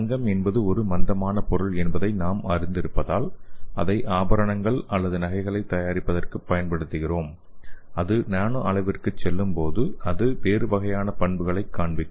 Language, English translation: Tamil, As we know that gold is an inert material which we use it for making ornaments or jewels and when it goes to nano scale it will show you a different kind of properties